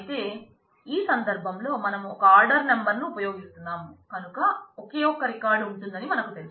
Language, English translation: Telugu, But in this case since we are using one order number we know that there will be only one record